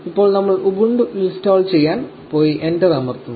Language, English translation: Malayalam, So, we go to install ubuntu and we press enter